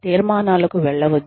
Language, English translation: Telugu, Do not jump to conclusions